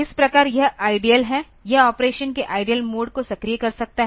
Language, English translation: Hindi, So, this the idle thus; so, it will may activate the idle mode of the operation